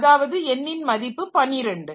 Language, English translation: Tamil, So, n equal to 2